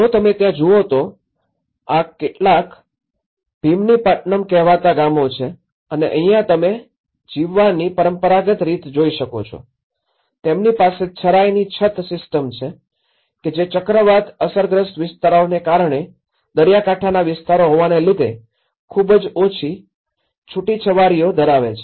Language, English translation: Gujarati, If you look there is, these are some of the villages called Bheemunipatnam and you can see the traditional patterns of living, they have the thatched roof systems, which have a very low eaves because of the cyclone affected areas and the coastal areas